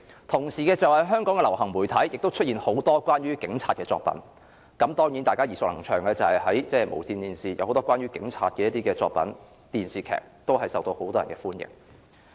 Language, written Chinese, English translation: Cantonese, 當時香港的流行媒體亦出現很多關於警察的作品，當中，無綫電視播放很多關於警察的電視劇，均是大家耳熟能詳，受到很多香港市民歡迎。, This was further boosted by mainstream media which produced a lot of programmes featuring police officers . Among them TVBs drama series on police officers were highly popular among Hong Kong people